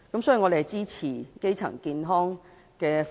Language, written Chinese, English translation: Cantonese, 所以，我們支持發展基層醫療服務。, Therefore we support the development of primary health care services